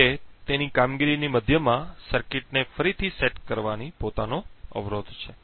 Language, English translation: Gujarati, However, resetting the circuit in the middle of its operation has its own hurdles